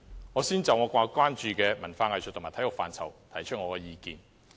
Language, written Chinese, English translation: Cantonese, 我先就我關注的文化藝術和體育範疇提出意見。, I will first present my views on the areas of arts culture and sports about which I am concerned